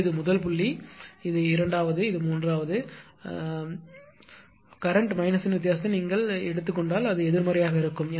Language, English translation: Tamil, So, I mean this is that first point, this is the second, this is third if you take the difference of the current minus the previous then it will be negative